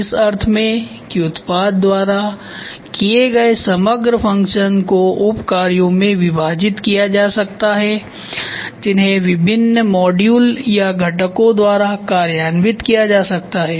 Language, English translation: Hindi, In the sense that the overall function performed by the product can be divided into sub functions that can be implemented by different modules or components